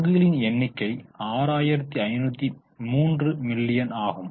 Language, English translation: Tamil, The number of shares are 6503 millions